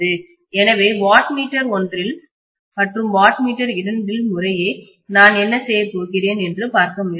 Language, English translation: Tamil, So let us try to see what is it that I am going to get in watt meter one and watt meter two respectively